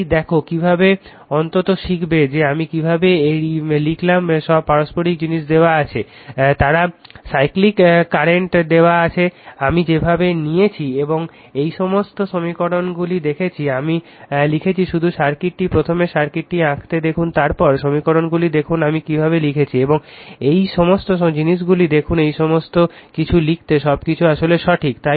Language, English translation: Bengali, So, see how are you at least you will learn that, how I have written this all mutual things are given, they are cyclic current is given, the way I have taken right and just see this all this equations, I have written for you just see the circuit draw the circuit first, then you see the equations how I have written right and see all these things all these things written everything is actually correct